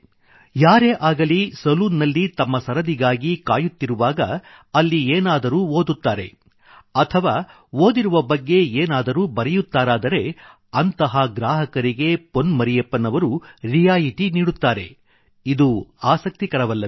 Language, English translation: Kannada, If a customer, while waiting for his turn, reads something from the library and writes on that, Pon Marriyappan, offers him a discount…